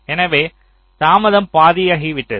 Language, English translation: Tamil, so the delay has become half